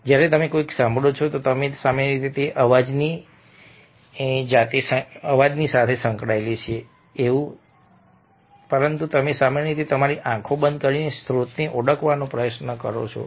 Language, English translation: Gujarati, when you hear something we were generally thinking of not the sound by itself, but you are usually closing your eyes and trying to identify the source